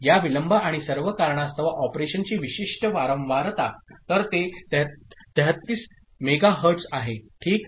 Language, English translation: Marathi, And typical frequency of operation because of these delays and all; so that is 33 megahertz ok